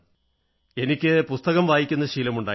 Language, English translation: Malayalam, And I used to read books